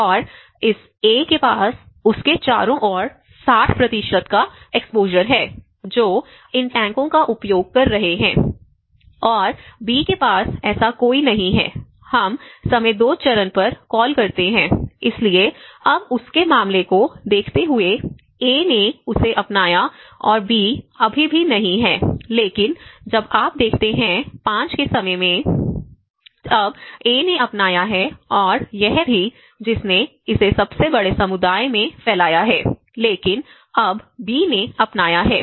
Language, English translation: Hindi, And this A has an exposure of 60% around him who are using these tanks and B has none so, we call at time phase 2, so by looking at his case now, A has adopted that and B still has not but when you look at the time 5, now A have adopted and it also which has spread it to the largest community but now B has adopted